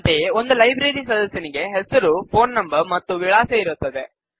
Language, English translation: Kannada, Similarly, a Library member has a Name, phone number and an address